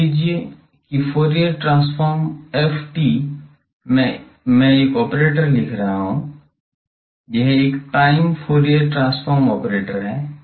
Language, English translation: Hindi, Suppose Fourier transform F t, I am writing is an operator, it is a time Fourier transform operator